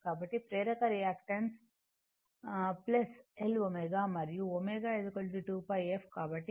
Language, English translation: Telugu, So, inductive reactant L omega and omega is equal to 2 pi f